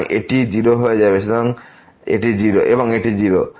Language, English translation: Bengali, So, this will become 0 and this is 0